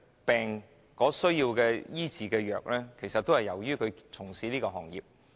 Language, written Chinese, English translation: Cantonese, 病患者需要藥物治療，起因其實是他們從事的行業。, The patients need medication treatment simply because they are engaged in these industries